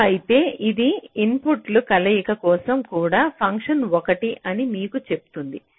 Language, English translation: Telugu, if so, it will also tell you for what combination of the inputs the function is one